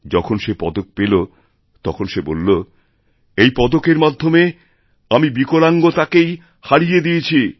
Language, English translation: Bengali, When the medal was awarded to her, she said "Through this medal I have actually defeated the disability itself